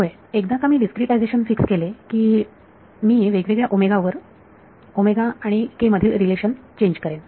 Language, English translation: Marathi, Yeah, once I fix a discretization I will change the relation between omega and k at different omegas